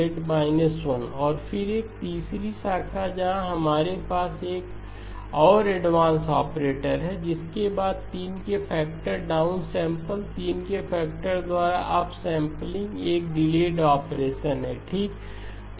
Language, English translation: Hindi, Z inverse so there is A okay, and then a third branch where we have another advance operator followed by down sample by a factor of 3, up sampling by a factor of 3, a delay operation okay